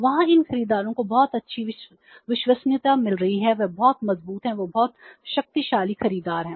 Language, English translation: Hindi, These buyers are having a very good credit rating, they are very strength, they are very powerful buyers